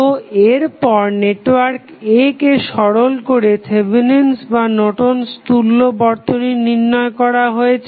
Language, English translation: Bengali, So, what next is that network a simplified to evaluate either Thevenin's orNorton's equivalent